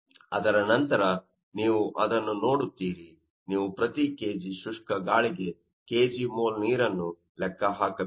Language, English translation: Kannada, Now, in terms of weight, you can see per kg mole of water by kg mole of dry air